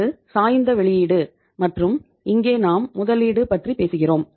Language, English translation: Tamil, This is the or oblique output and here we talk about the investment